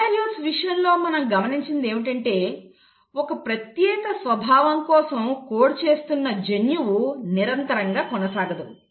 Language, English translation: Telugu, In case of eukaryotes what we observed is that the gene which is coding for a particular character, is not in continuity